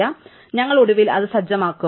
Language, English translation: Malayalam, So, we will eventually set it